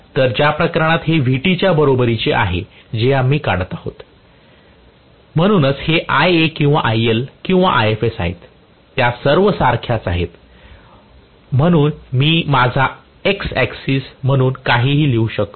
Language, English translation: Marathi, So, in which case this is equal to Vt that’s what we are drawing, so this is Ia or IL or Ifs, all of them are the same, so it does not matter I can write anything as my you know x axis